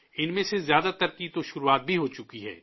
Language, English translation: Urdu, Most of these have already started